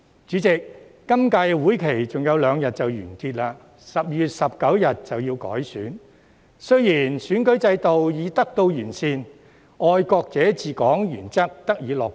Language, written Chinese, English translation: Cantonese, 主席，本屆會期還有兩天便完結 ，12 月19日便要改選，而選舉制度已得到完善，"愛國者治港"原則得以落實。, President the current term of the Legislative Council will end in two days with the Election to be held on 19 December and the electoral system has been improved to implement the principle of patriots administering Hong Kong